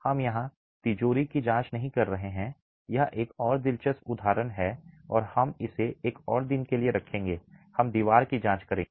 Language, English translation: Hindi, We are not examining the vault here, that is another interesting example and we will keep it for another day